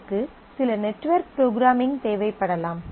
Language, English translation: Tamil, It might require some network programming and so on